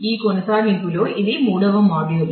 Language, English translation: Telugu, This is the third module; in that continuation